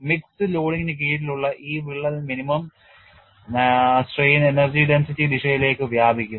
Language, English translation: Malayalam, And in this crack under mixed loading will extend in the direction of minimum strain energy density